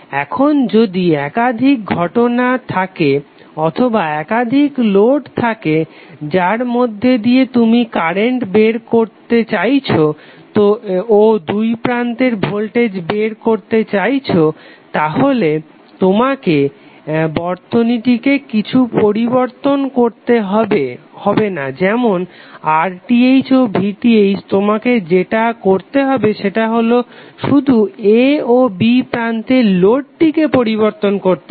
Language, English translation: Bengali, Now if you have multiple cases or multiple loads through which you want to find out the current and across those loads voltages, you need not to change anything in this circuit that is RTh and VTh you have to just keep on changing the loads across terminal a and b